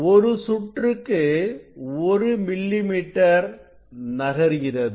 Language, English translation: Tamil, it moves 1 millimeter